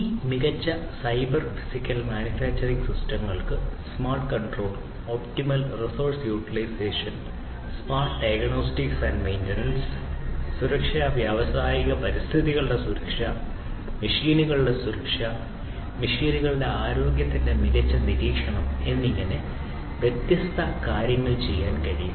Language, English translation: Malayalam, So, these smarter cyber physical manufacturing systems can perform different things such as smart control, optimal resource utilization, smart diagnostics and maintenance, safety, safety of the industrial environment, safety of these machines, smart monitoring of the health of these machines